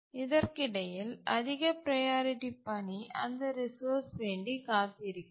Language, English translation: Tamil, Now, in the meanwhile, a high priority task is waiting for that resource